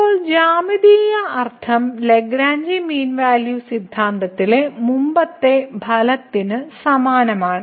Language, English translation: Malayalam, So, now the geometrical meaning is similar to the earlier result on Lagrange mean value theorem